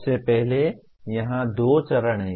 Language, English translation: Hindi, First of all there are two steps here